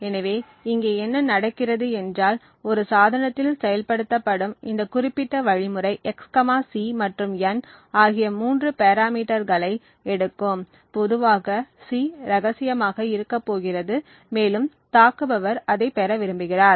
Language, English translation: Tamil, So, what happens over here is that this particular algorithm which we assume is implemented in a device takes three parameters x, c and n typically the c is going to be secret and it is what the attacker wants to obtain